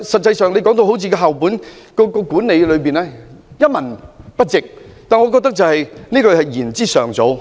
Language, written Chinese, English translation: Cantonese, 他今天把校本管理說得一文不值，我認為言之尚早。, Today he criticizes school - based management as if it was worthless but I think the conclusion is drawn prematurely